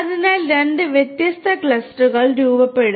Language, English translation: Malayalam, So, two different clusters will be formed